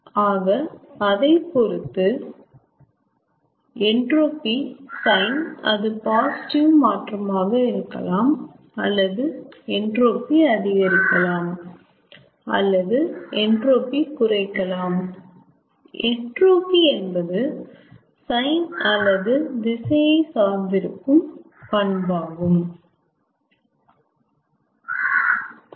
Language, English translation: Tamil, so accordingly, ah, the sign of entropy, whether there is a positive change of, or increase in entropy or decrease in entropy, entropy being a property that will depend on the sign or direction of heat transfer